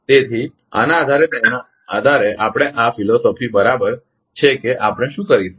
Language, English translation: Gujarati, So, based on this based on this our ah this ah philosophy right what we can do is